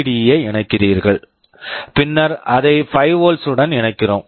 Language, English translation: Tamil, We are connecting a resistance, then you are connecting a LED, then we are connecting it to 5 volts